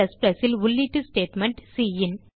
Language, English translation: Tamil, And the input statement in C++ is cin